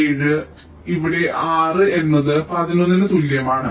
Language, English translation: Malayalam, and here r equal to eleven